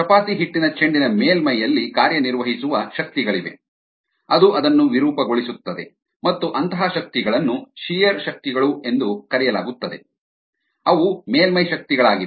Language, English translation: Kannada, there are forces acting on the surface of the chapati dough ball which distorts it, and such forces are called shear forces